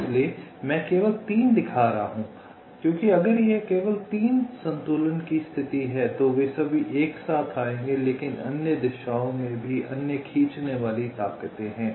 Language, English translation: Hindi, so i am not showing, i am only show showing three, because if it is only three the equilibrium position, they will all come to all together, but there are other pulling force in other directions also